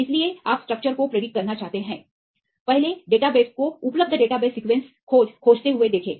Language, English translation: Hindi, So, you want to predict the structure, first see the database searching right available database sequence search